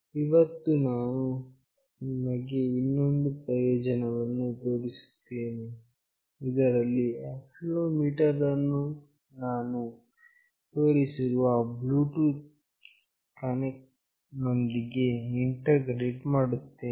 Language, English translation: Kannada, Today, I will show you another experiment, where I will integrate accelerometer along with the Bluetooth connection that I have already shown